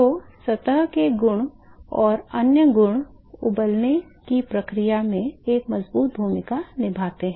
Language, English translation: Hindi, So, the surface properties and other properties say play a strong role in boiling process ok